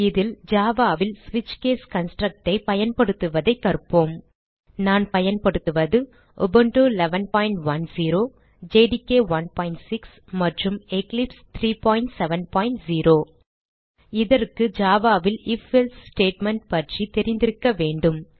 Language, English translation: Tamil, In this tutorial, you will learn how to use the switch case construct in Java For this tutorial we are using Ubuntu v 11.10 JDK 1.6 and Eclipse 3.7.0 For this tutorial, you should have knowledge of if else statement in Java